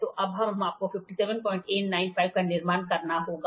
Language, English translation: Hindi, So, now, you have to build 57